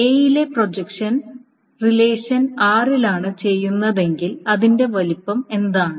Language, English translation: Malayalam, This is essentially the size of your, if the projection on A is done on relation R, what is the size